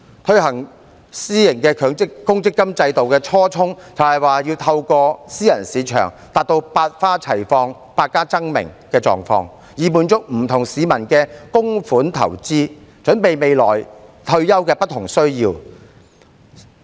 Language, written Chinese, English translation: Cantonese, 推行私營公積金制度的初衷，是要透過私人市場達到百花齊放、百家爭鳴的狀況，以滿足不同市民的供款投資，準備未來退休的不同需要。, The initial intention of launching a private provident fund system was to achieve diversification and enhance competition through a private market with a view to satisfying the investment needs of different people with their contributions and making preparation for their different retirement needs in the future